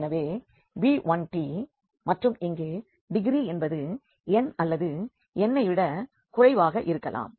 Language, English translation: Tamil, So, b 1 t and here the degree can be n or it can be less than n, so, b and t n